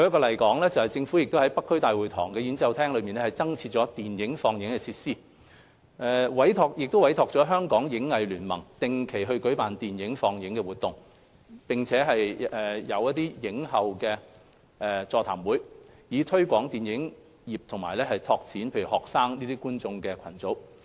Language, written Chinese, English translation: Cantonese, 例如，政府在北區大會堂演奏廳增設了電影放映設施，委託香港影藝聯盟定期舉辦電影放映活動，並設映後座談會，以推廣電影業及拓展學生觀眾群。, For instance the Government has provided additional screening facilities to the auditorium of the North District Town Hall and commissioned the Hong Kong Film Art Association to organize film screening activities on a regular basis with post - screening seminars in a bid to promote the film industry and build up audience base among students